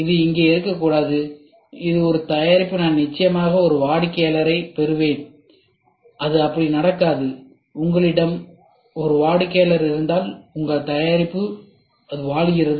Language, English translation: Tamil, It should not be here is a product I will definitely I will have a customer no it will not happen like that, if you have a customer your product will have it is living